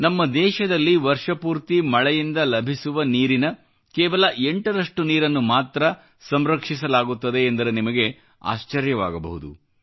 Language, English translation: Kannada, You will be surprised that only 8% of the water received from rains in the entire year is harvested in our country